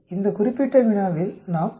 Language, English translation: Tamil, In this particular problem, we get 125